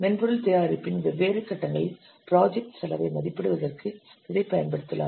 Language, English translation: Tamil, This can be used to estimate the project cost at different phases of the software product